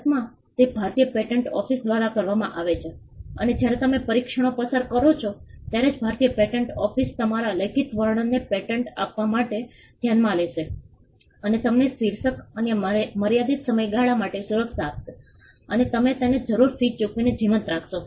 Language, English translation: Gujarati, In India it is done by the Indian patent office and only when you pass the tests that the Indian patent office will subject your written description to will you be granted a patent, which will give you a title and a protection for a limited period of time, provided you keep it alive by paying the required fees